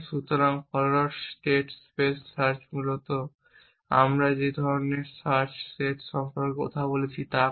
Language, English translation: Bengali, So, forward state space search essentially does the kind of the search set we have in talking about